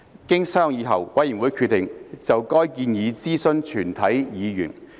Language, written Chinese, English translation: Cantonese, 經商議後，委員會決定就該建議諮詢全體議員。, After deliberation the Committee decided to consult all Members on this proposal